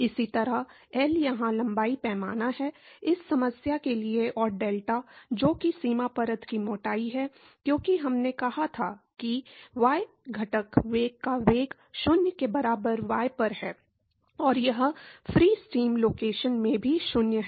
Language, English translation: Hindi, Similarly, L is the length scale here, for this problem and delta which is the boundary layer thickness, because we said that the velocity of the y component velocity is 0 at y equal to 0 and it is also 0 in the free steam location right